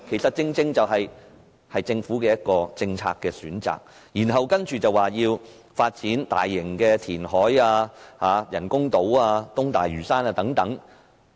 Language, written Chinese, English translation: Cantonese, 這正是政府的政策選擇，它還說要發展大型填海、人工島、東大嶼山等。, Anyway that is the policy chosen by the Government . It even says that it has to launch large - scale reclamation projects build artificial islands and develop East Lantau and so on